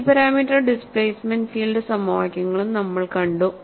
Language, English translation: Malayalam, We also saw multi parameter displacement field equations